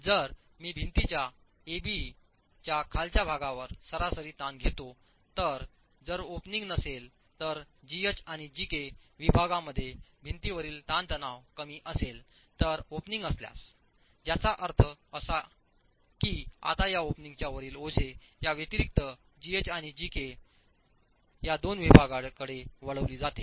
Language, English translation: Marathi, If I take the average stresses at the bottom of the wall, A, B, if there was no opening, that would be lower than what the wall stresses would be in segments G H and JK if an opening is present, which means the load now that is above this opening additionally gets diverted to these two segments G H and JK